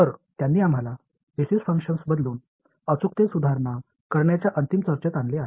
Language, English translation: Marathi, So, that brings us to the final discussion on improving accuracy by changing the Basis Functions